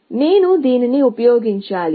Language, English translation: Telugu, So, I have to use this